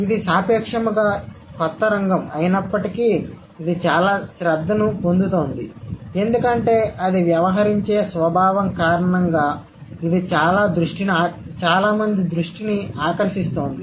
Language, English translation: Telugu, So, but though it's a, it's comparatively a younger field, it is gaining a lot of attention, it's garnering a lot of attention because of the very nature that it deals with